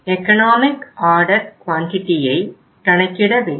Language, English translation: Tamil, Economic order quantity we have to work out